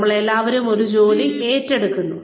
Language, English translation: Malayalam, We all take up a job